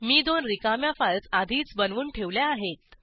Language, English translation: Marathi, The two files have already been created and are empty